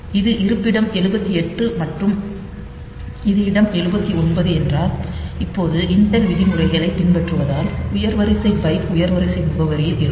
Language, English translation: Tamil, So, if this is the location 78 and this is the location 79, now since intel follows the convention that the higher order byte will be at higher order address